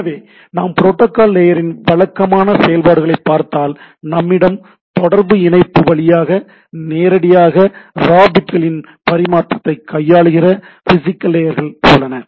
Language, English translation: Tamil, So, if we look at that protocol layers typical functionalities: so we have physical layers which handles transmission of raw bits over a communication link right